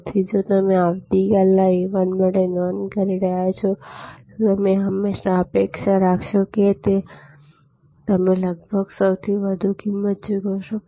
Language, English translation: Gujarati, So, if you are booking for a flight for tomorrow, then you will always expect that this, you will be almost paying the highest price